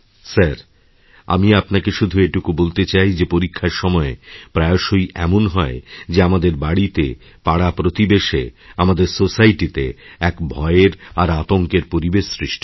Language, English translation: Bengali, "Sir, I want to tell you that during exam time, very often in our homes, in the neighbourhood and in our society, a very terrifying and scary atmosphere pervades